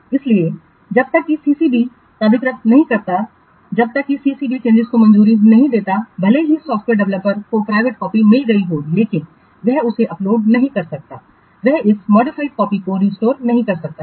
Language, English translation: Hindi, So, unless the CCB authorizes, unless the CCB approves the changes, even if the software developer has got the private copy, but he cannot upload it, he cannot restore this modified copy